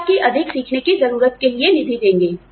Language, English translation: Hindi, They will fund your need to learn more